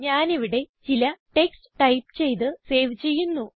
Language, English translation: Malayalam, Let me type some text here and save it